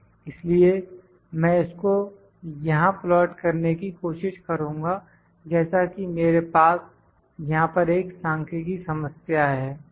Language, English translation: Hindi, So, I will try to plot this as was, so I have numerical problem here